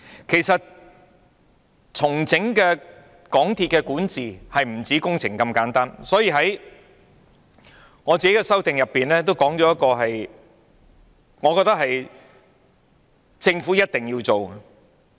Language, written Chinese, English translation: Cantonese, 其實，重整港鐵管治不止工程那麼簡單，所以我在修正案中提出一個我認為政府一定要做的事項。, In fact restructuring the governance of MTRCL is not simply about the works . That is why I proposed in my amendment a matter that I think the Government should definitely do